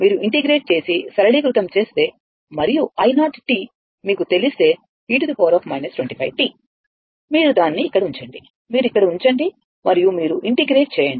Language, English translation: Telugu, If you integrate and simplify and i 0 t is known to you that e to the power minus 25 t, you put it here, you put it here and you integrate